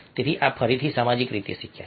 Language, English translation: Gujarati, so these are socially learnt again